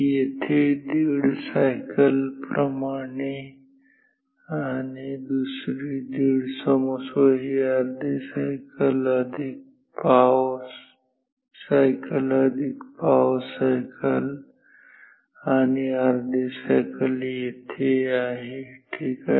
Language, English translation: Marathi, So like one and half cycle here and another 1 and half, 1 sorry this is like half cycle plus quarter cycle plus another quarter cycle and a half cycle is here ok